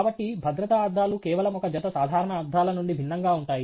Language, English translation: Telugu, So, safety glasses are distinctly different from just a pair of normal glasses